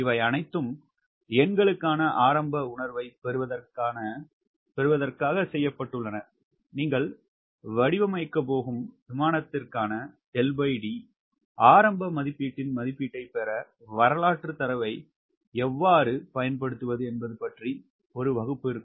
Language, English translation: Tamil, these all have been done to get an initial fill for numbers will have one session where will be talking about how to use historical data to get an estimate of initial estimate of l by d for the airplane which you are going to design